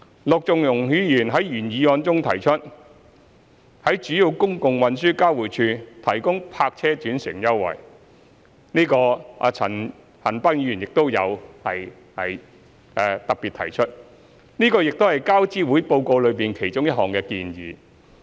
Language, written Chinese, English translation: Cantonese, 陸頌雄議員在原議案中提出在主要公共運輸交匯處提供泊車轉乘優惠，陳恒鑌議員亦有特別提出，這亦是交諮會報告的其中一項建議。, Mr LUK Chung - hung in his original motion proposes the provision of park - and - ride concessions at major public transport interchanges a proposal which Mr CHAN Han - pan has particularly mentioned and is one of the many recommendations made by TAC in the Report